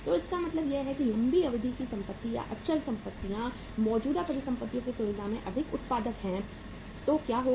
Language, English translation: Hindi, So it means long term assets or the fixed assets being more productive as compared to the current assets so what will happen